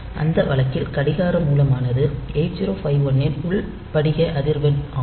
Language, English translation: Tamil, And in that case, the clock source is the internal crystal frequency of 8051